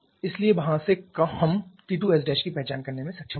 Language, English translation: Hindi, So, from there we shall be able to identify T 2S Prime